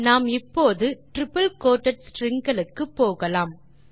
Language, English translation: Tamil, Let us now move on to the triple quoted strings